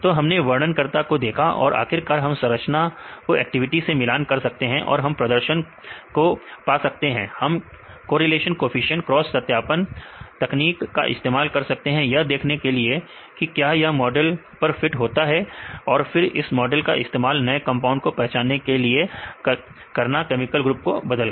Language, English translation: Hindi, So, we did get the descriptors and finally, we relate the structure with the activity, and we can measure the performance right we can use the correlation coefficient, cross validation techniques right to see whether this will fit the model and then use the model for identifying the new compounds right by changing the chemical groups